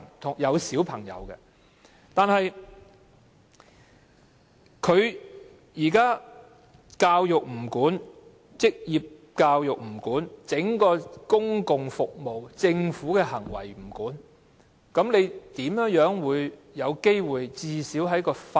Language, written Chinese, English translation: Cantonese, 在現行的反歧視條例下，教育、職業教育、公共服務及政府行為全不受規管，試問哪有機會改善。, Under the existing anti - discrimination laws education vocational education public services and practices of the Government are all exempted . In that case how can there be improvement?